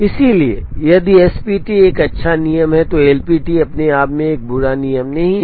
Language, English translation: Hindi, So, if SPT is a good rule LPT by itself is not a bad rule